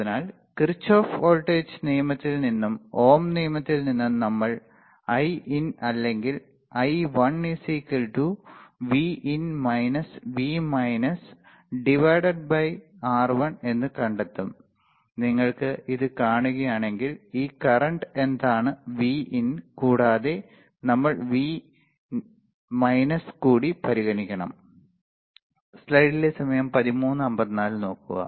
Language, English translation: Malayalam, Therefore from Kirchhoff voltage law and Ohm's law what we find as Iin or I1 equals to nothing, but Vin minus V minus by R1 right I1, if you see this one, this current what is it Vin and we have to consider V minus right